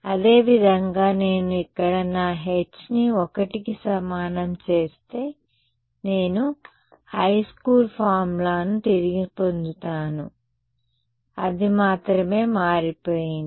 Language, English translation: Telugu, Similarly, if I make my h is over here equal to 1, I get back my high school formulas, that is the only thing that has changed